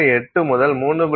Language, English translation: Tamil, 8 to 3